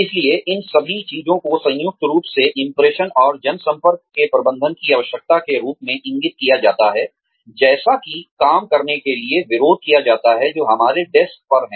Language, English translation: Hindi, So, all of all of these things combined, indicate a need for, managing impressions and public relations, as opposed to, doing the work, that is on our desks